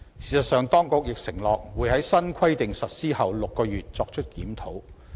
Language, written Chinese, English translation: Cantonese, 事實上，當局亦承諾會在新規定實施後6個月作出檢討。, In fact the authorities have undertaken to conduct a review six months after the implementation of these new measures